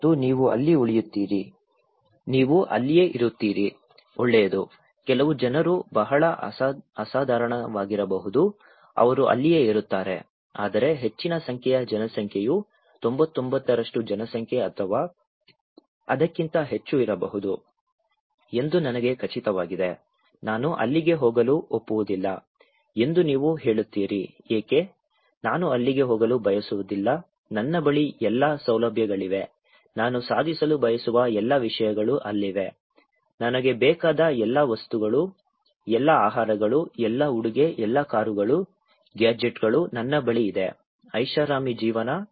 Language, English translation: Kannada, And you will stay there; will you stay there; well, some people may be very exceptional, they will stay there but I am quite sure that large number of populations maybe 99% population or maybe more than that, you would say that I would not agree to go there, why; I do not want to go there, I have all the facilities, all the things I want to achieve there is there, all the things I want, all the foods, all the dress, all the cars, gadgets, all I have; luxury life